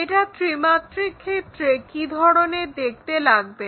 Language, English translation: Bengali, How it looks like in three dimensional